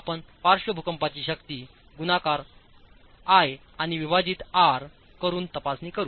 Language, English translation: Marathi, You have the lateral seismic force estimate multiplied by I and divided by R